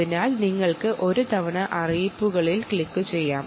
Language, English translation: Malayalam, ok, so you can just lets click on notifications once